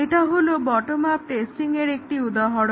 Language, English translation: Bengali, This is an example of bottom up testing